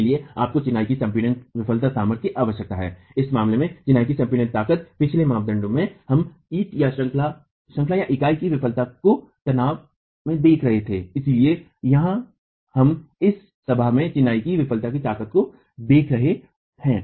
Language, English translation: Hindi, Therefore you need the crushing failure strength of masonry, the crushing strength of masonry of masonry in this case in the previous criterion we were looking at the failure of the unit in tension but here we are looking at the failure strength of masonry in compression the assembly itself